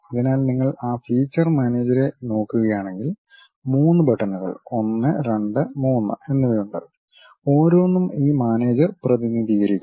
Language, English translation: Malayalam, So, if you are looking at that feature manager there are 3 buttons, 1, 2, and 3, each one represents each of these managers